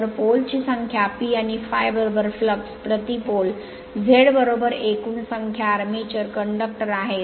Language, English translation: Marathi, So, let P is the number of poles, and phi is equal to flux per pole, Z is equal to total number armature conductors